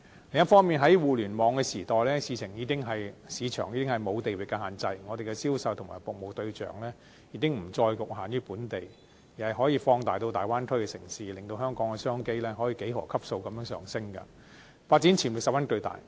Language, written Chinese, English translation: Cantonese, 另一方面，在互聯網的時代，市場已經沒有地域限制，香港的銷售和服務對象已經不再局限於本地，而是可以放大至大灣區的城市，令香港的商機可以幾何級數地上升，發展潛力十分巨大。, And the advent of the Internet age has seen the disappearance of geographic markets meaning that the sales of Hong Kong goods and services are no longer limited to local consumers . Rather the scope of sales can be expanded to Bay Area cities . In this way our business opportunities will increase exponentially unleashing huge development potentials for Hong Kong